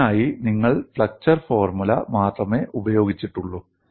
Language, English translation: Malayalam, You have used only flexure of formula for this also